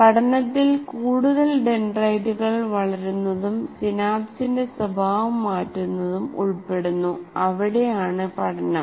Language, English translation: Malayalam, The learning is consists of growing more dendrites and changing the what do you call behavior of the synapse